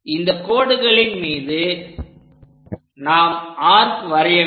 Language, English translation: Tamil, So, on these lines we have to make arcs